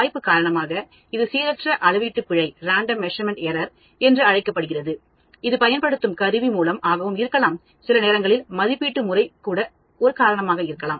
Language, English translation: Tamil, Due to chance, this is called the Random Measurement error, I may be having an instrument or an assay method which may always lead to error